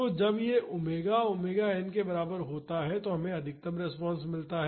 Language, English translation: Hindi, So, when this omega is equal to omega n we get the maximum response